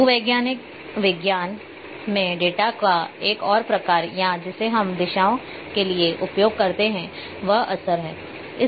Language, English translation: Hindi, One more type of data in geological sciences or in we use for directions a bearing